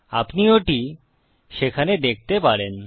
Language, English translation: Bengali, You can see that there